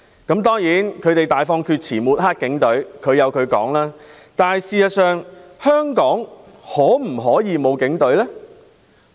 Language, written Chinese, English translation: Cantonese, 他們大放厥辭針對警隊，但事實上，香港可否沒有警隊？, They talked wildly against the Police but in reality can we really do away with the Police in Hong Kong?